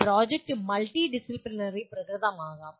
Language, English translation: Malayalam, And a project can be also be multidisciplinary in nature